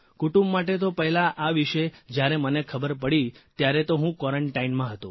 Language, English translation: Gujarati, When the family first came to know, I was in quarantine